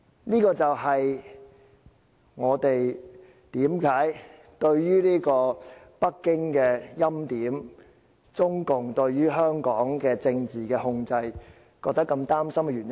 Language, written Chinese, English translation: Cantonese, 這就是我們對於北京的欽點及中共對香港的政治控制感到擔心的原因。, This is why we are worried about Beijings anointment and CPCs political control over Hong Kong